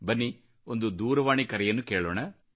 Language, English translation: Kannada, Come on, let us listen to a phone call